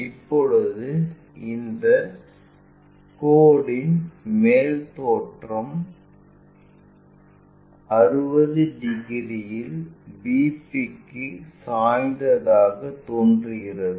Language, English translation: Tamil, Now, this top view of this line appears inclined to VP at 60 degrees